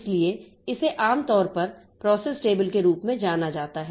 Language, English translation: Hindi, So, that is generally known as the process table